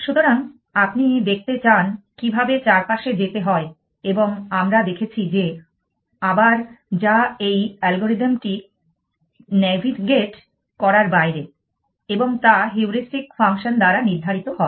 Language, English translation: Bengali, So, you want to see how to get around and we saw that that again which this algorithm is out of navigating is determine by the Heuristic function that actualities this determines also by the more than function